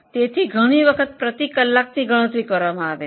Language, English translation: Gujarati, So, many times a rate per hour is calculated